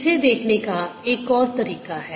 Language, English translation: Hindi, there is another way of looking at